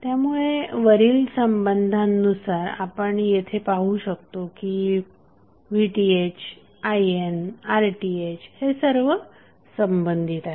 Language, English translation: Marathi, Now, according to the above relationship what we can see that V Th, I N and R Th are related